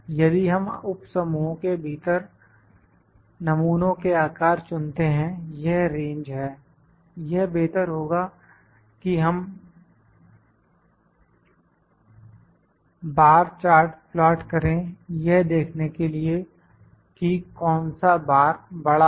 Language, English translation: Hindi, If we selected, ok, sample sizes of within subgroup it is the range, it is better to plot the bar charts to see which bar is the larger